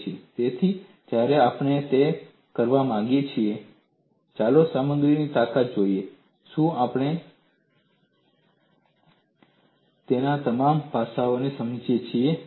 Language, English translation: Gujarati, So, when we want to do that, let us look at in strength of materials, have we understood all aspects of it